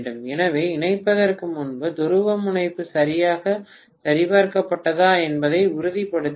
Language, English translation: Tamil, So, we have to make sure that the polarity is checked properly before connecting